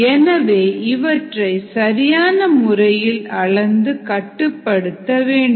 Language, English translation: Tamil, these are crucial and so they need to be properly measured and controlled